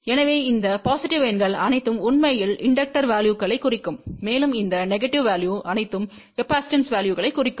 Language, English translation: Tamil, So, all these positive numbers will actually imply inductive values and all these negative values will imply a positive values